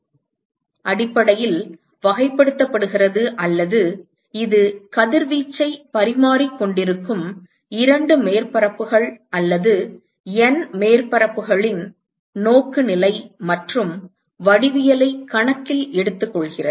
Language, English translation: Tamil, And so, this view factor essentially characterizes or it takes into account the orientation and geometry of the two surfaces which is or N surfaces which is exchanging radiation